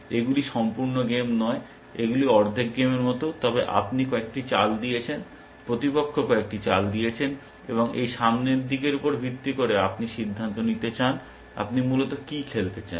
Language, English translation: Bengali, They are not completed games they are sort of half way plate games, but you have made a few moves, opponent as made a few moves, and based on this look ahead, you want to decide, what you want to play essentially